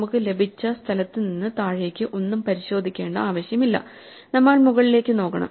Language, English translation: Malayalam, There is no need to check anything down from where we got, we only have to look up